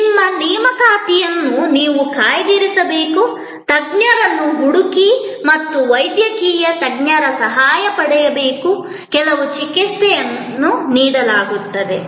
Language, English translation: Kannada, Like you have to book your appointment, search out a specialist and seek the help of a medical specialist, some treatment is given